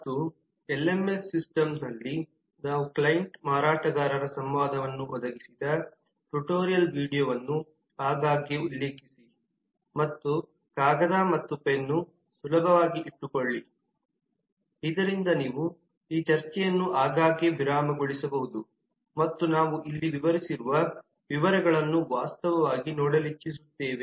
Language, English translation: Kannada, and also frequently refer to the tutorial video where we have provided a client vendor interaction on the lms system and keep paper and pen handy so that you can frequently pause this discussion and actually work out the details of what we are outlining here